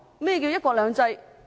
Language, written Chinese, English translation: Cantonese, 何謂"一國兩制"？, What does one country two systems mean?